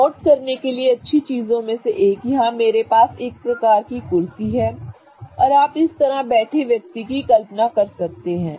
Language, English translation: Hindi, One of the good things to notice, so here I have a proper kind of a chair and you can imagine a person sitting like this